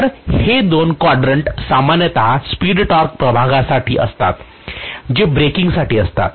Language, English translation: Marathi, So these two quadrants are generally meant for in the speed torque plane they are meant for braking